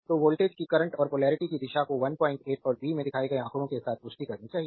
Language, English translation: Hindi, So, direction of current and polarity of voltage must confirm with those shown in figure 1